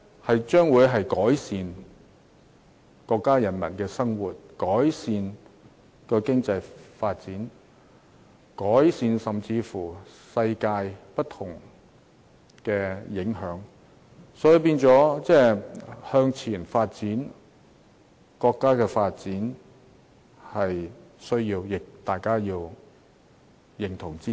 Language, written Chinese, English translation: Cantonese, 這將會改善國家人民的生活，帶動經濟發展，甚至對世界帶來各種影響，所以，國家向前發展是有必要的，亦要大家認同和支持。, Such progress will not only help improve peoples livelihood and drive further economic development but it will also create impact on the world in various ways . That is why we all agree and support that China should move forward and achieve further development